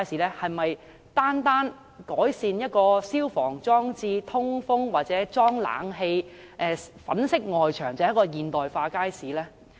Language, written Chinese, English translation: Cantonese, 是否單單改善了消防裝置和通風設備，或安裝了冷氣機及粉飾了外牆，便是現代化街市呢？, Can a market be modernized simply by improving the fire service installation and ventilation equipment or installing air conditioners and whitewashing the external walls?